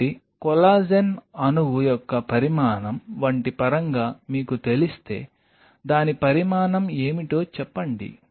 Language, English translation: Telugu, So, if you know that the dimension of collagen molecule in terms of like, say what is the dimension of it